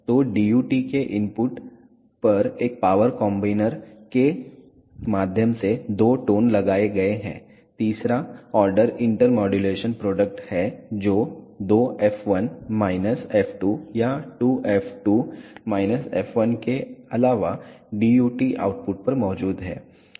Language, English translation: Hindi, So, there are two tones applied at the input of the DUT through a power combiner and the third order inter modulation product which is nothing but twice f 1 minus f 2 or twice f 2 minus f 1 is present at the DUT output